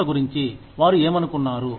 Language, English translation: Telugu, What they felt about the company